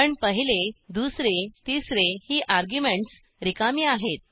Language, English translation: Marathi, But the first, second and third arguments are blank